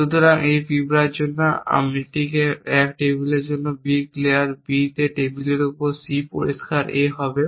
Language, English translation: Bengali, So, what on take this for this ants for A 1 table B clear B on table A on C A clear A that